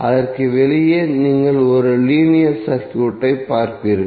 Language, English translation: Tamil, External to that you will see as a linear circuit